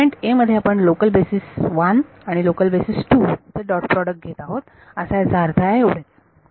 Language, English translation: Marathi, Within element #a, you are taking the dot product of local basis 1 and local basis 2 that is the meaning that is the that is all there is